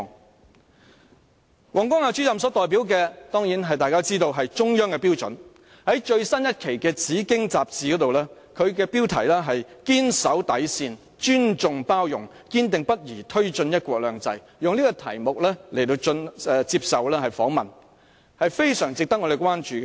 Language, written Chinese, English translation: Cantonese, 大家當然知道王光亞主任所代表的是中央的標準，在最新一期的《紫荊》雜誌，他以"堅守底線，尊重包容，堅定不移推進'一國兩制'"為題接受訪問，是非常值得我們關注的。, As we all know Mr WANG Guangya represents the Central Government and what he has told is the standards set by the Central Government . An interview with Mr WANG entitled Stand firm with your bottom line have respect and tolerance for others take forward the principle of one country two systems unswervingly published in the latest issue of Zijing Magazine merits our attention